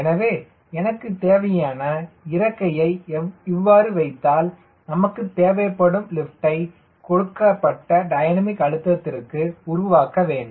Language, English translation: Tamil, so i need to put the wing such a way that you should be able to produce that much of lift which is required for a given dynamic pressure at a c l